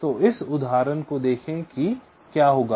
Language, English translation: Hindi, so let see for this example what will happen for this case